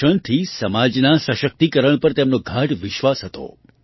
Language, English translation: Gujarati, She had deep faith in the empowerment of society through education